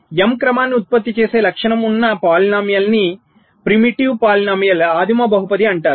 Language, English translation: Telugu, so the characteristic polynomial which generates and m sequence is called a primitive polynomial